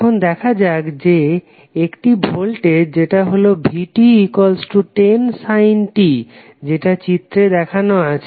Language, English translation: Bengali, Now let’s see that there is some voltage vt that is 10 sin t which is shown in this figure